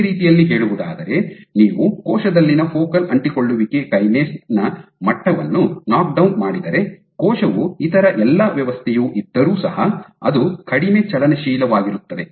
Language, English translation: Kannada, So, in other words if you knock down the level of focal adhesion kinase in a cell then the cell will be less motile even though it has all the other machinery in places